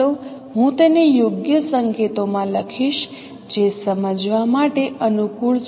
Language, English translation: Gujarati, Let me write it in a proper notation which is more convenient to understand